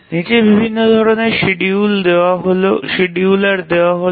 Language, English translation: Bengali, So, we will look at various types of schedulers